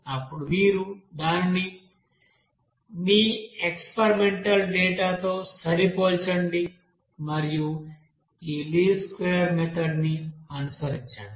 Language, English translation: Telugu, And then you just fit it with your experimental data and follow this least square method